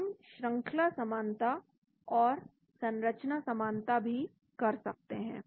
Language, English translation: Hindi, we can also do the sequence similarity and structure similarity